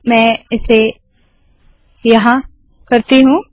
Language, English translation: Hindi, Let me do that here